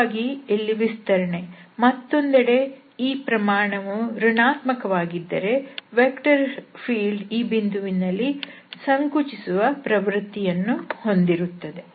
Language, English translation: Kannada, So, here its expansion and on the other hand if this comes to be negative number, there is a tendency of compression at this point for a given vector field